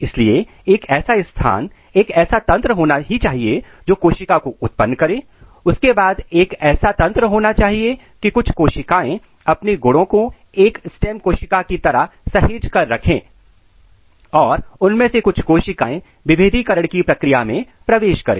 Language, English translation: Hindi, So, there has to be a region, there has to be a mechanism to produce the cell, then there has to be a mechanism that some of the cells they retain their property as a stem cells and the some of the cells they should enter in the process of differentiation